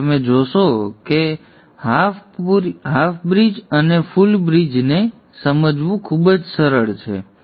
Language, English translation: Gujarati, Now you will see that it is very easy to understand the half bridge and the full bridge